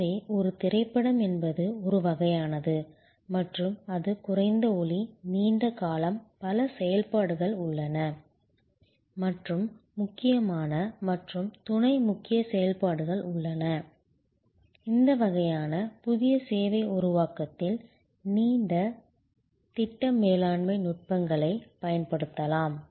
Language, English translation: Tamil, So, a movie is one of a kind and it is a low volume, long duration, there are many activities and there are critical and sub critical activities, you can use project management techniques in this kind of new service creation